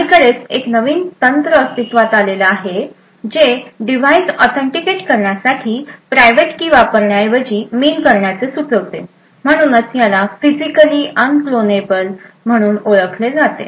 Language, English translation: Marathi, Quite recently there has been a new technique which was suggested to replace the use of private keys as a mean to authenticate device, So, this is known as Physically Unclonable Functions